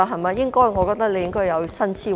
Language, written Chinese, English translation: Cantonese, 我認為局長應該有新思維。, I think the Secretary should adopt new mindset